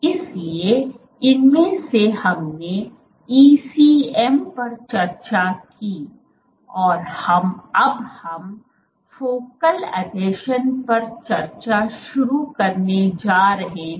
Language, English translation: Hindi, So, of these we discussed ECM and now we are going to start discussing focal adhesions